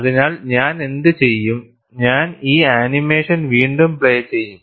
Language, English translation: Malayalam, So, what I will do is, I will replay this animation again